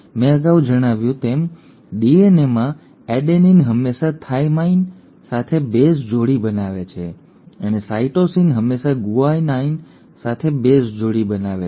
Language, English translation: Gujarati, As I mentioned, in DNA, an adenine will always base pair with a thymine and a cytosine will always form of base pair with a guanine